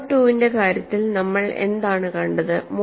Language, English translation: Malayalam, What we saw in the case of mode 2